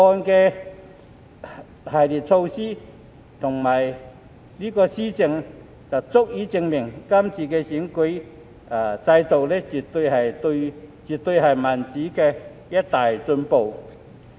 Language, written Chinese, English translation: Cantonese, 《條例草案》的一系列措施足以證明，今次經完善的選舉制度絕對是民主的一大進步。, The series of measures in the Bill suffice to prove that the improved electoral system is definitely a major step forward in democracy